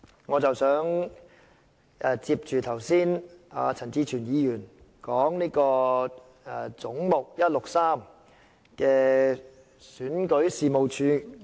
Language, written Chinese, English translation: Cantonese, 我想就陳志全議員剛才談論的"總目 163― 選舉事務處"發言。, I would like to speak on Head 163―Registration and Electoral Office which Mr CHAN Chi - chuen just talked about